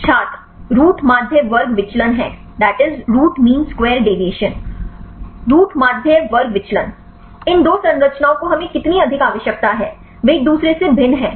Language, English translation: Hindi, Root mean square deviation Root mean square deviation; how far these two structures we need superimpose, they are vary from each other